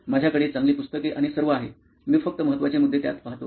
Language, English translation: Marathi, I have good books and all; I just go through them like important points